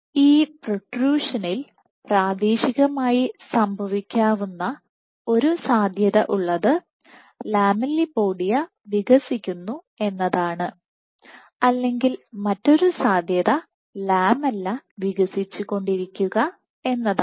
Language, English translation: Malayalam, So, for this protrusion to happen locally one possibility one possibility is the lamellipodia is expands, one possibility is the lamellipodia is expanding or the other possibility is the lamella is expanding